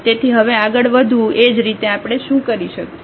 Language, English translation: Gujarati, So, moving next now similarly what we can do